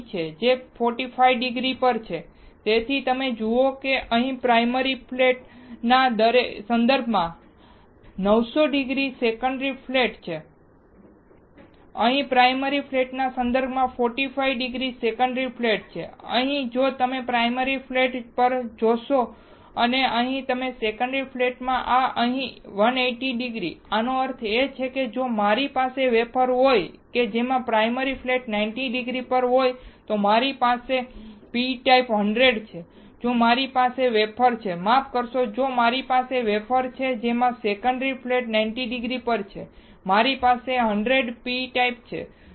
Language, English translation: Gujarati, Which is at 45 degree, so you see here it is 90 degree secondary flat with respect to primary flat, here there is 45 degree secondary flat with respect to primary flat, here if you see primary flat and here you see secondary flat this is at 180 degree, that means, that if I have the wafer in which primary flat is at 90 degree, I have p type 100, if I have a wafer, sorry if I have a wafer in which secondary flat is at 90 degree I have 100 p type